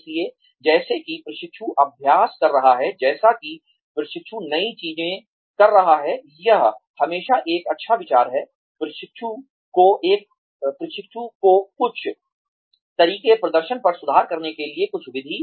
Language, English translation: Hindi, So, as the trainee is practicing, as the trainee is doing new things, it is always a good idea, to give the trainee, some ways, some method to improve upon the performance